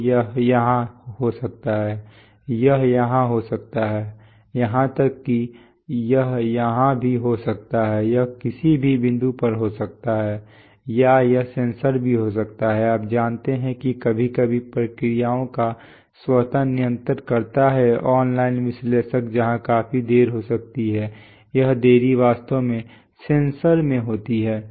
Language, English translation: Hindi, So it could be here, it could be here, even it could be here, it could be at any point or it could be even in the sensor, you know sometimes automatic controls processes even sensors like you have things like, you know, online analyzers where there could be a considerable delay that is this delay actually occurs in the sensor